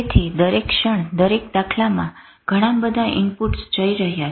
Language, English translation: Gujarati, So, every second, every instance, lot of inputs are going